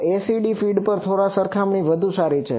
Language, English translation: Gujarati, So, the ACD feed that is better compared to a slightly better